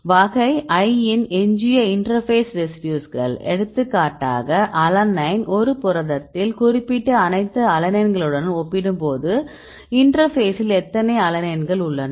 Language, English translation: Tamil, How many residues of type I are the interface these the interface residues for example, alanine, how many alanine in the interface compared with the all alanines the particular protein right